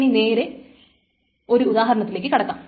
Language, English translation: Malayalam, So now let us go to the example